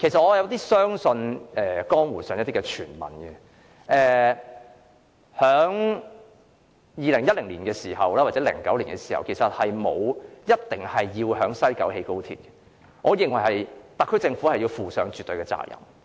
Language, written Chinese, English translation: Cantonese, 我有點相信江湖上的一些傳聞，即是在2010年或2009年時，根本沒有說過一定要在西九龍興建高鐵，我認為特區政府要就此負上絕對的責任。, In this connection I tend to believe some rumours in the city which suggest that there was utterly no plan in 2010 or 2009 for the alignment of XRL to pass through West Kowloon and I consider the SAR Government should be held absolutely responsible for this